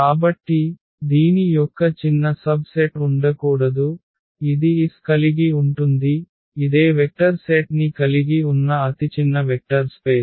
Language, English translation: Telugu, So, there cannot be any smaller subset of this which contain s and is a vector space